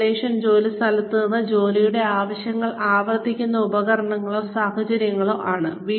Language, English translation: Malayalam, Simulations are devices or situations, that replicate job demands, at an off the job site